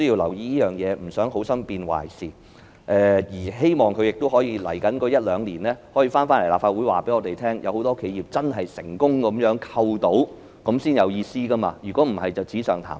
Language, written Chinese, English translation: Cantonese, 我們不想好心變壞事，更希望政府在未來一兩年可以到立法會告訴我們，有很多企業成功獲得扣稅，這樣才有意思，否則只是紙上談兵。, We do not wish to see a disservice done out of good intentions and we even hope that the Government can come to the Legislative Council in the next year or two to tell us that many enterprises have successfully obtained the tax deduction